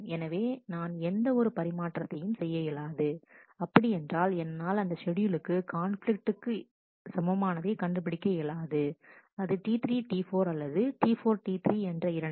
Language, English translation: Tamil, So, I cannot do either of this swaps which mean, that I cannot find a conflict equivalent schedule for this schedule; either to T 3 T 4 or to T 4 T 3